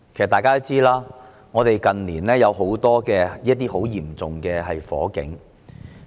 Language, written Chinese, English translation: Cantonese, 大家也知道，香港近年發生了多宗嚴重火警。, As we all know Hong Kong has seen the occurrence of a number of major fire incidents in recent years